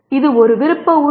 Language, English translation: Tamil, This is also an optional element